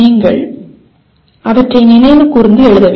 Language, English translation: Tamil, You have to recall them and write